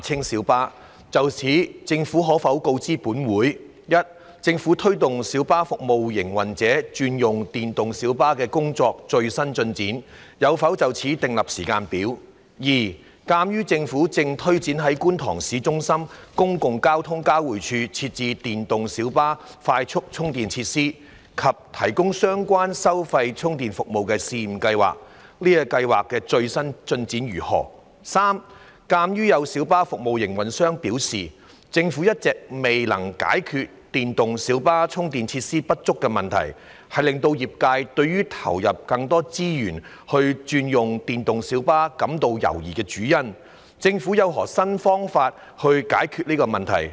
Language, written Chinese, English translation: Cantonese, 就此，政府可否告知本會：一政府推動小巴服務營運者轉用電動小巴的工作的最新進展；有否就此制訂時間表；二鑒於政府正推展在觀塘市中心公共運輸交匯處設置電動小巴快速充電設施及提供相關收費充電服務的試驗計劃，該計劃的最新進展為何；及三鑒於有小巴服務營運者表示，政府一直未能解決電動小巴充電設施不足的問題，是令業界對投入更多資源轉用電動小巴感到猶疑的主因，政府有何新方法解決此問題？, In this connection will the Government inform this Council 1 of the latest progress of the Governments efforts in promoting the switch to electric PLBs e - PLBs by PLB service operators; whether it has drawn up a timetable for that; 2 as the Government is taking forward a pilot scheme on setting up fast charging facilities for e - PLBs and providing a relevant paid charging service at the public transport interchange in Kwun Tong Town Centre of the latest progress of the scheme; and 3 as some PLB service operators have indicated that the Governments failure to resolve the problem of insufficient charging facilities for e - PLBs all along is the main reason for the trades hesitation in putting in more resources for switching to e - PLBs of the Governments new solutions to this problem?